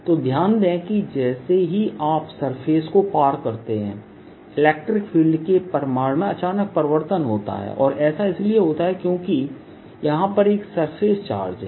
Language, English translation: Hindi, so notice there is a change, sudden change, in the electric field magnitude as you cross the surface and that is because there is a surface charge